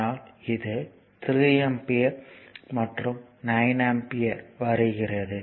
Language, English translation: Tamil, So, it will be 3 ampere in to 3 volt